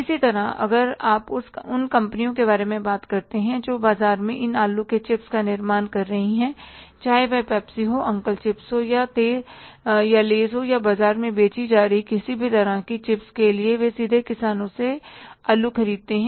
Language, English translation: Hindi, Similarly, you talk about the companies who are manufacturing these potato chips in the market, whether it is a Pepsi, uncle chips or any laser, any other kind of the chips they are selling in the market, they directly buy the potatoes from the farmers